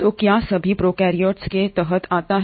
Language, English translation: Hindi, So what all comes under prokaryotes